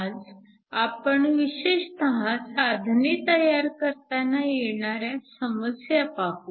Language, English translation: Marathi, Today, we are going to look specifically at some problems leading to devices